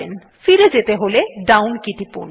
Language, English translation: Bengali, To go back press the down key